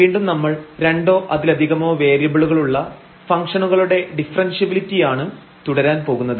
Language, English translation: Malayalam, And, again we will continue here the Differentiability of Functions of Two or Several Variables and there will be many worked problems today